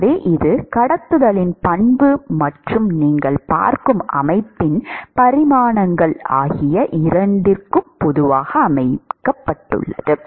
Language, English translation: Tamil, So, it is both property of conduction and the dimensions of the system that you are looking at